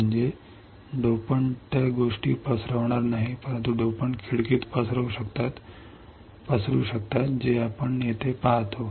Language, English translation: Marathi, So, that the dopant would not diffuse things, but the dopants can diffuse in the window that what we see here